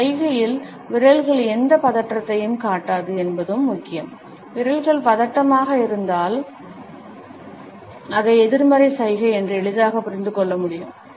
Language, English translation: Tamil, It is also important that fingers do not show any tension in this gesture, if the fingers are tense then it can be understood easily as a negative gesture